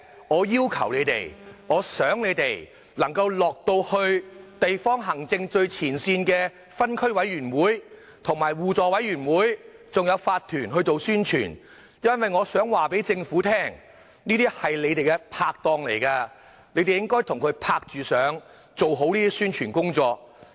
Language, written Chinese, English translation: Cantonese, 我要求政府官員到地方行政最前線的分區委員會、互助委員會和法團去做宣傳，因為這些是你們的拍檔，你們應該與他們共同合作，做好宣傳工作。, I urge government officials to reach out to the front line of local administration that is Area Committees mutual aid committees and owners corporations who are actually their partners with whom they should work together on the publicity